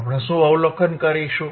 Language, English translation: Gujarati, and wWhat we will be observing